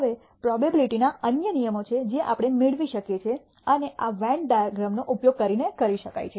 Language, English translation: Gujarati, Now, there are other rules of probability that we can derive and these can be done using Venn diagrams